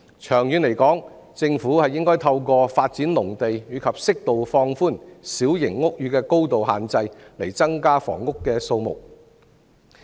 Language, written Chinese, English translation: Cantonese, 長遠而言，政府應該透過發展農地及適度放寬小型屋宇的高度限制，以增加房屋的數目。, In the long run the Government should increase the number of flats through development of farmland and appropriate relaxation of building height for small houses